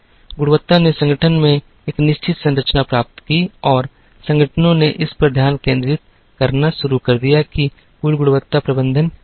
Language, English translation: Hindi, Quality gained a certain structurein the organization and organizations started concentrating on what is called total quality management